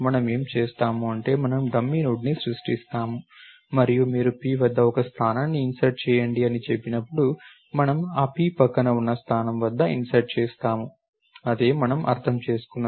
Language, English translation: Telugu, What we do in this implementation, you are little clever and what we do is, we create a dummy node and when you say insert a position at p, we insert at the position next to that p, what we mean by that is the following